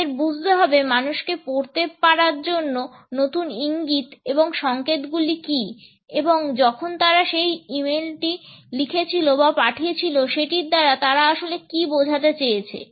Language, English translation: Bengali, We have to understand, what are the new cues and signals of being able to read people, to understand what do they really mean, when they wrote that e mail when they sent